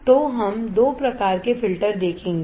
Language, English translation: Hindi, So, we will see two kinds of filters